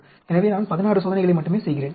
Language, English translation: Tamil, So, I am doing only 16 experiments